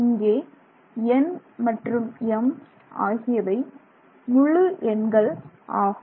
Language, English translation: Tamil, So, where N and M are integers